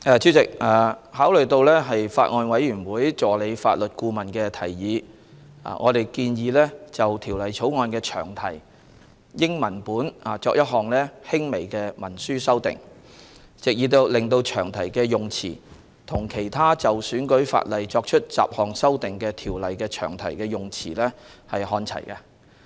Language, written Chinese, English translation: Cantonese, 主席，考慮到法案委員會助理法律顧問的提議，我們建議就《2019年選舉法例條例草案》的詳題英文本作一項輕微的行文修訂，藉以令詳題的用辭與其他就選舉法例作出雜項修訂的條例的詳題的用辭看齊。, Chairman taking into account of the suggestion of the Assistant Legal Adviser to the Bills Committee we propose to make a slight textual amendment to the long title of the Electoral Legislation Bill 2019 in the English text such that the wording of the long title aligns with that of other ordinances making miscellaneous amendments to the electoral legislation